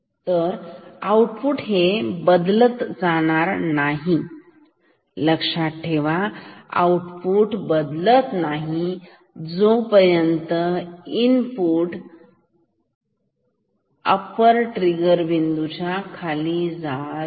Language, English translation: Marathi, So, the output is not going to change here note that output is not going to change at the moment when input is coming below upper trigger point